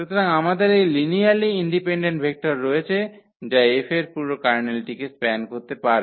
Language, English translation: Bengali, So, we have this linearly independent vector which can span the whole Kernel of F